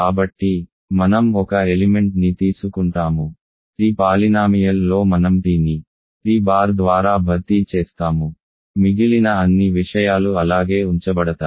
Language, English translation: Telugu, So, I will take an element, polynomial in t I will simply replace t by t bar, all the other things are left as they are